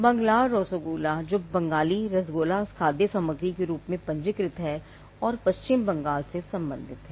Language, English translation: Hindi, Banglar rasogolla which is the Bengali rasogolla which is registered as a food stuff and which belongs to West Bengal